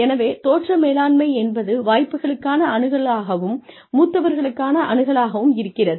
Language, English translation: Tamil, So, impression management, may be access to opportunities, may be access to seniors, maybe